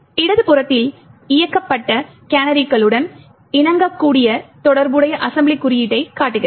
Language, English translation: Tamil, While on the left side shows the corresponding assembly code that gets complied with canaries enabled